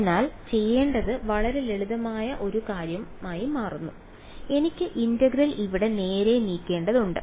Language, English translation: Malayalam, So, turns out to be a very simple thing to do I just have to move the integral over here right